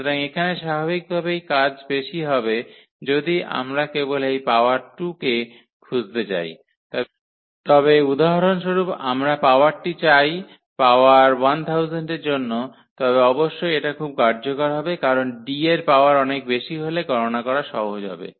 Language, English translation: Bengali, So, here naturally the work is more if we just want to find out this power 2, but in case for example, we want to power to get the power 1000 then definitely this will be very very useful because D power higher power would be easier to compute